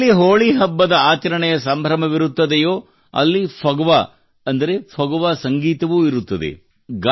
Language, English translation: Kannada, Where there are colors of Holi, there is also the music of Phagwa that is Phagua